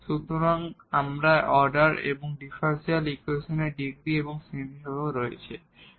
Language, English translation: Bengali, So, we have defined the order and also the degree of the differential equation and also some classification we have done